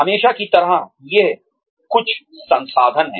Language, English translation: Hindi, As always, these are some of the resources